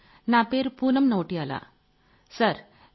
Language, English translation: Telugu, Sir, I am Poonam Nautiyal